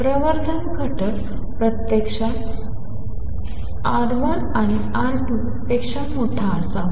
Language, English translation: Marathi, Amplification factor actually should be larger than R 1 and R 2